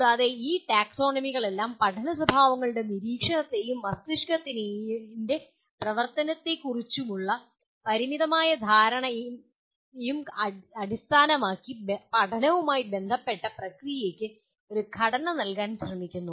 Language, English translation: Malayalam, And all these taxonomies attempts to give a structure to the process involved in learning based on observations of learning behaviors and the limited understanding of how the brain functions